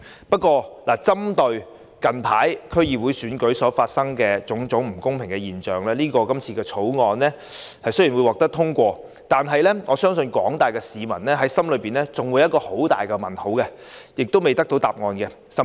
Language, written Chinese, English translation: Cantonese, 不過，針對最近區議會選舉發生的種種不公平現象，即使今次《條例草案》能獲得通過，我相信廣大市民心中還有一個很大的疑問未得到解答。, However as many unfair practices were revealed in the latest DC Election I do not think the passage of the Bill is sufficient to answer the key question in peoples mind